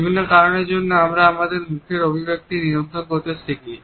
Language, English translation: Bengali, There are different reasons because of which we learn to control our facial expression of emotion